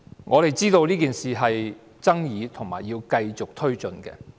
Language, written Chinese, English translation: Cantonese, 我們知道這件事具爭議性，並須繼續推進。, We understand that this matter is controversial and still needs to be pressed forward